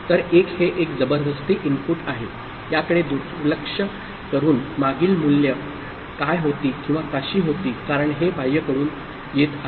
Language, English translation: Marathi, So, 1 is a forcing input irrespective of what were the past values or so, because this is coming from external